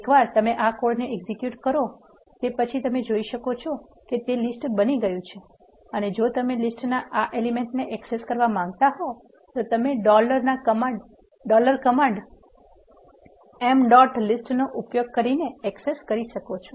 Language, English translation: Gujarati, Once you execute this code we can see now that list is created and if you want to access this element of the list you can do that by using the dollar command m dot list is the list and you want access the component with the name, names